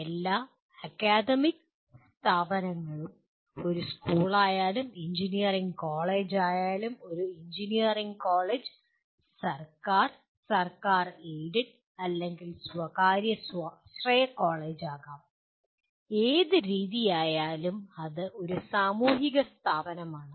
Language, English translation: Malayalam, The after all any academic institute whether it is a school or an engineering college; an engineering college may be government, government aided or privately self financing college, whichever way it is, it is a social institution